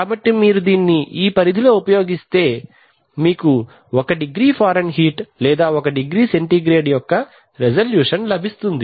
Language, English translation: Telugu, So if you use it within this range then you will get a resolution of one degree Fahrenheit or one degree centigrade